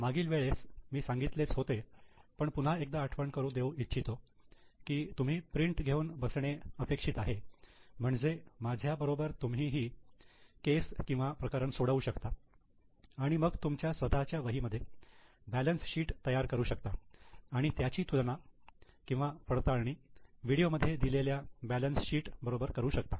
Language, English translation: Marathi, Last time also I had told but once again I am reminding here it is expected that you sit with the printout, take that particular sheet and try to solve the case along with me, then prepare the balance sheet in your own notebook and check with the balance sheet as shown in the video